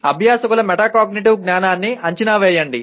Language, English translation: Telugu, Assess metacognitive knowledge of the learners